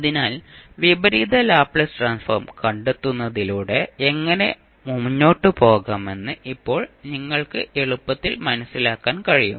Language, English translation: Malayalam, So, now you can easily understand that how you can proceed with finding out the inverse Laplace transform